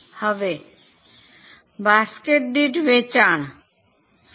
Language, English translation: Gujarati, Now what is the sales per basket